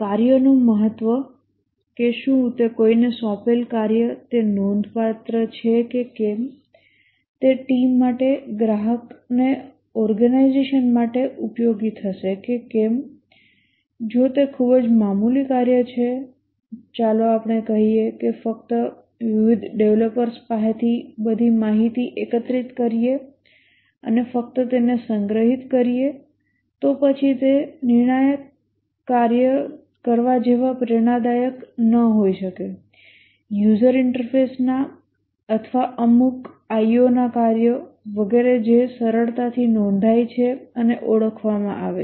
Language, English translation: Gujarati, The task significance, whether the task that is assigned to somebody it is significant, whether it will be useful to the team, to the organization, to the customer, if it is a very insignificant work, like let's say just collecting all information from various developers and just storing it, then it may not be so motivating as doing a crucial piece of the user interface or certain I